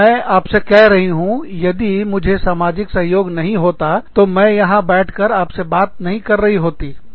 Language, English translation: Hindi, If, i did not have this social support, i would not have been sitting here, and talking to you, i am telling you